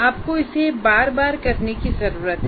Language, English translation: Hindi, You have to iteratively do this